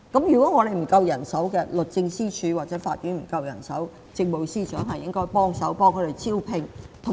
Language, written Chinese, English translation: Cantonese, 如果律政司或法庭人手不足，政務司司長應該協助招聘。, If the Department of Justice or the courts are short of manpower the Chief Secretary should help with the recruitment